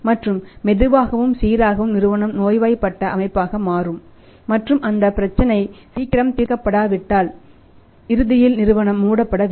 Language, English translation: Tamil, And slowly and steadily the company will become sick organisation and if that problem is not resolved as early as possible then ultimately it may be required that company has to be closed down